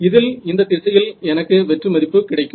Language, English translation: Tamil, So, in this case it will be this direction right here I have a null